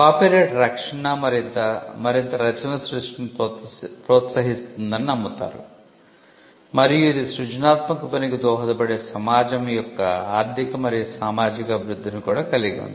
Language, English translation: Telugu, Copyright protection is also believed to incentivize creation of further works and it also has the economical and social development of a society which the creative work could contribute to